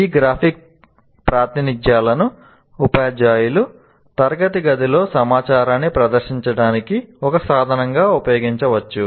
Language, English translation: Telugu, These graphic representations can be used by teachers as a means to display information in the classroom